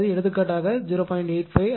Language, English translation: Tamil, So, you will get 0